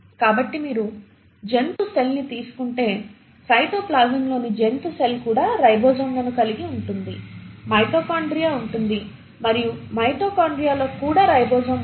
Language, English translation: Telugu, So if you take an animal cell, the animal cell in the cytoplasm will also have ribosomes, will have a mitochondria and within the mitochondria it will also have a ribosome